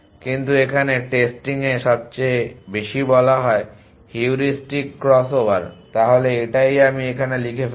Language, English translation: Bengali, But the most in testing 1 here is called Heuristic crossover, so let me write it here